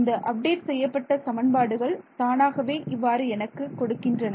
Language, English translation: Tamil, Yeah, the update equation is automatically doing it for me right